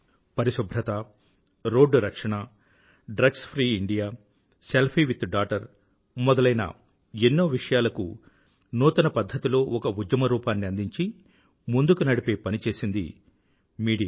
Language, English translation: Telugu, Issues such as cleanliness, Road safety, drugs free India, selfie with daughter have been taken up by the media and turn into campaigns